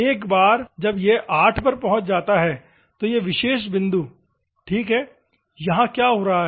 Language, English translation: Hindi, Once it reaches to 8, this particular point ok, what it is happening